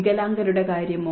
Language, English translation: Malayalam, What about the disabled people